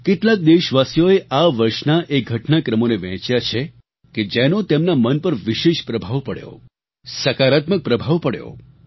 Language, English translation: Gujarati, Some countrymen shared those incidents of this year which left a special impact on their minds, a very positive one at that